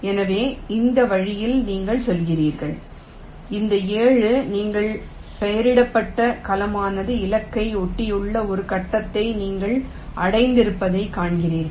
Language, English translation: Tamil, so in this way you go on and you see that you have reached a stage where this seven, the cell you have labeled, is adjacent to the target